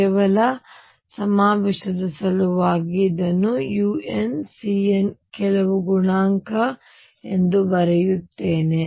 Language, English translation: Kannada, Just for the convention sake let me write this u n as c n some coefficient c n